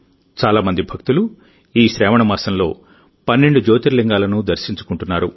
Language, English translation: Telugu, These days numerous devotees are reaching the 12 Jyotirlingas on account of 'Sawan'